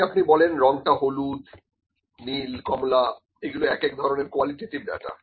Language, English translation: Bengali, Then even if you say colour is yellow blue orange, this is also a kind of qualitative data